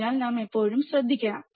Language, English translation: Malayalam, So, we should always be careful